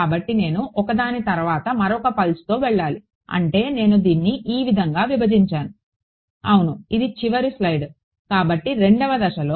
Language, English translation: Telugu, So, I have to go pulse by pulse that is how I split this up yeah this is the last slide yeah so in step 2